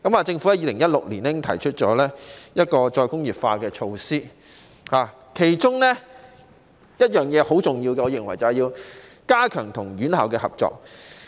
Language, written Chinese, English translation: Cantonese, 政府在2016年已經提出再工業化的措施，其中我認為十分重要的一點，便是加強與院校合作。, In 2016 the Government already proposed measures for re - industrialization and I consider one of them vitally important which was to strengthen cooperation with institutions